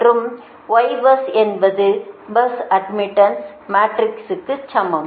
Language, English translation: Tamil, so so in will go for bus admittance matrix